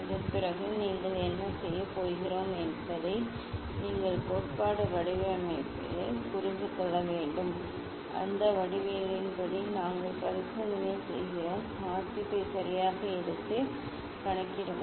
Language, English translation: Tamil, after that you have to understand the theory, geometry of the experiment whatever we are going to do and according to that geometry we just do the experiment, take the reading properly and calculate